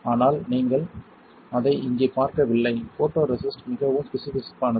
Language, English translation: Tamil, But you do not see it here the photoresist is pretty viscous